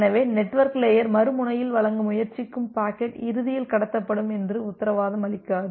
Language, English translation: Tamil, So, the network layer does not guarantee that the packet that it is trying to deliver at the other end it will be eventually transmitted